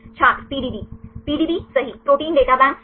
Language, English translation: Hindi, PDB right Protein Data Bank right